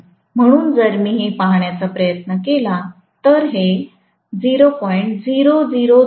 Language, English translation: Marathi, So, if I try to look at this, this is 0